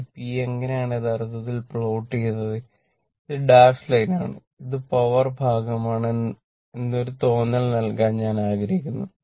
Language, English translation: Malayalam, I just to give you a feeling that how actually this p this one you plot, this is the dash line, the dash portion shown, it is the power part right